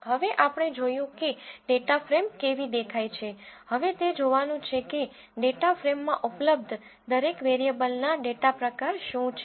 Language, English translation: Gujarati, Now that we have seen how a data frame looks, it's time to see what are the data types of each variable that is available in the data frame